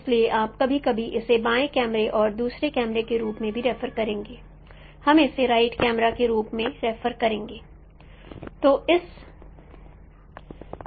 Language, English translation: Hindi, So we will also sometimes refer it as left camera and the second camera will refer it as right camera